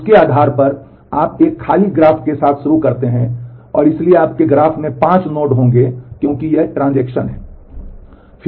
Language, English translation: Hindi, So, based on that, you start with an empty graph having so, your graph will have 5 nodes because these are the transactions